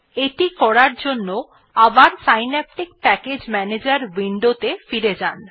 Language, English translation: Bengali, You need to have the administrative rights to use Synaptic package manager